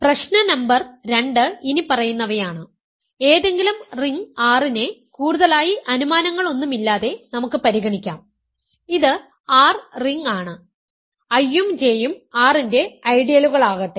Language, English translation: Malayalam, Problem number 2 is the following, let us consider any ring R without any further assumption it is R is a ring and let I and J be ideals of R, let I and J be ideals of R